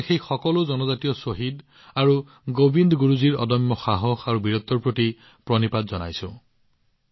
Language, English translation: Assamese, Today I bow to all those tribal martyrs and the indomitable courage and valor of Govind Guru ji